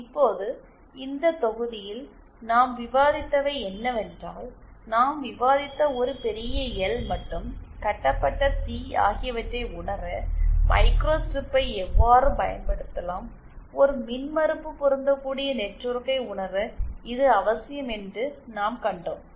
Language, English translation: Tamil, Now in this module, what we discussed were how we can use a microstrip to realise a lumped L and lumped C that we discussed, that we saw are necessary for realising an impedance matching network